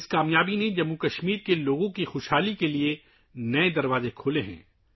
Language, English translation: Urdu, This success has opened new doors for the prosperity of the people of Jammu and Kashmir